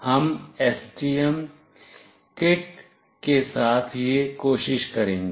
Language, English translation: Hindi, We will try this out with the STM kit